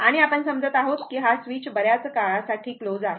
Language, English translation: Marathi, And it suppose this switch is closed for long time